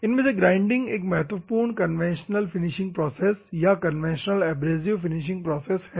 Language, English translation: Hindi, Normally, the grinding process is a conventional abrasive finishing process